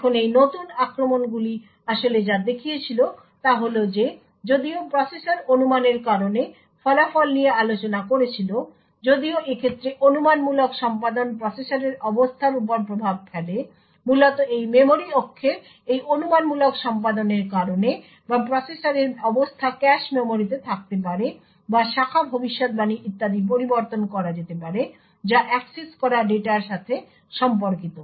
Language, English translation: Bengali, Now what these new attacks actually showed was that even though the processor discussed the result due to speculation in such a case the speculative execution has an effect on the state of the processor, essentially due to this speculative execution of this memory axis or the state of the processor may be in the cache memories or the branch predictors or so on may be modified corresponding to the data which gets accessed